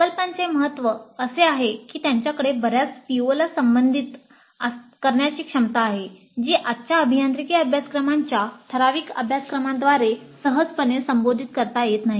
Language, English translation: Marathi, The importance of projects is that they have the potential to address many POs which cannot be addressed all that easily by typical courses of present day engineering curricula